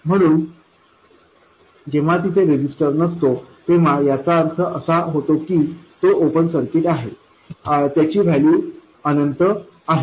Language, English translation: Marathi, So, when a resistance is not there, meaning it is open circuited, its value is infinity